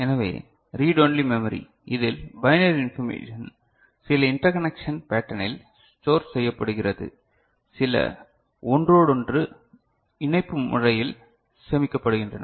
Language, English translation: Tamil, So, Read Only Memory in this the binary information is stored in certain interconnection pattern